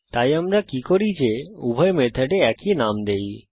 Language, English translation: Bengali, So what we do is give same name to both the methods